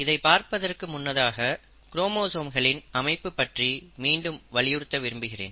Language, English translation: Tamil, But before I get there, I again want to re emphasize the arrangement of chromosomes